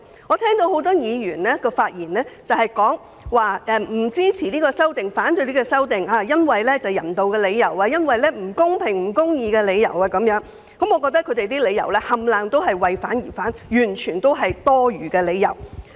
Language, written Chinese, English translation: Cantonese, 我聽到很多議員在發言中指出不會支持並要反對《條例草案》，原因是基於人道理由，認為《條例草案》不公平、不公義，但我認為這些理由全屬為反對而反對，根本就是多餘。, I have heard many Members point out in their speeches that they would not support but oppose the Bill on humanitarian grounds as they consider it unfair and unjust . However I think such grounds are utterly meant to justify their opposition for oppositions sake which is simply unnecessary